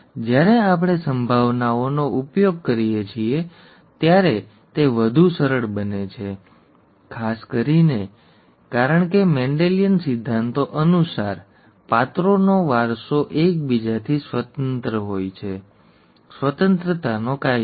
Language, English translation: Gujarati, It becomes much easier when we use probabilities, especially because, according to Mendelian principles, the inheritance of characters are independent of each other, okay, law of independence